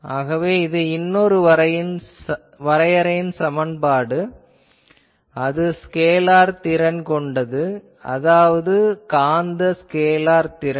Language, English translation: Tamil, So, this is another defining equation that another scalar function potential function I am saying, this is magnetic scalar potential